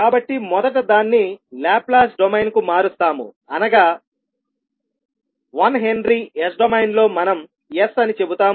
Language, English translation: Telugu, So first we will convert it to Laplace domain that is we will say that 1 henry in s domain we will sell as s